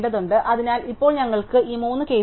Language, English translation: Malayalam, So, now we have this three cases